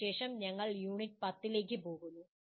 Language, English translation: Malayalam, And after this we go into the Unit 10